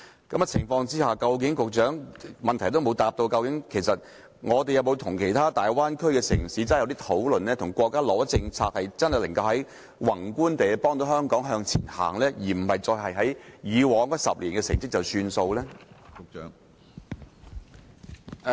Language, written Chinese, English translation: Cantonese, 局長沒有回答在這樣的情況之下，究竟香港有否與其他大灣區的城市進行討論，有否要求國家提供政策，宏觀地幫助香港向前走，而不只是滿足於以往10年的成績呢？, The Secretary has not answered whether Hong Kong under such circumstances has held discussions with other cities in the Bay Area and asked the State to introduce policies to help in a macroscopie perspective Hong Kong to progress forward instead of being complacent with the achievement made in the past decade